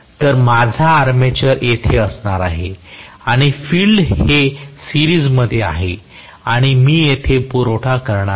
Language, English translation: Marathi, So I am going to have armature here, and the field is in series and I am going to apply a supply here